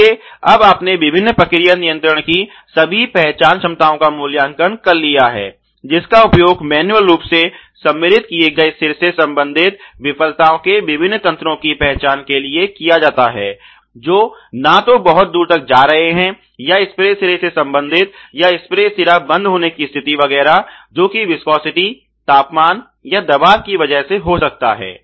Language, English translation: Hindi, So, therefore, you have now rated all the detect ability of the various process control which are used for identifying you know or which are used for identifying the various mechanisms of failures related to either manually inserted head not going far enough or related to either sprays head, spray heads getting clogged etcetera, because of viscosity temperature of pressure issues